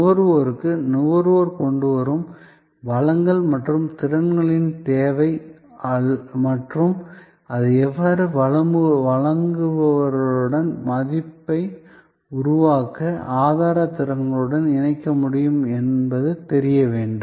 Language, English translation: Tamil, The consumer need the resources and competencies the consumer brings and how that can be combined with the providers resources competencies to produce value